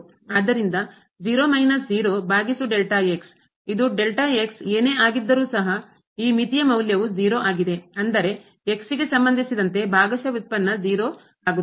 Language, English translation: Kannada, So, 0 minus 0 over delta and this is 0 whatever delta ’s so, we have here the value of this limit is 0; that means, the partial derivative with respect to is 0